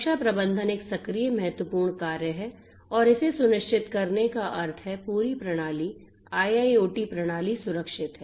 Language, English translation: Hindi, Security management is an active important function and this has to ensure that the whole system the IIoT system is secured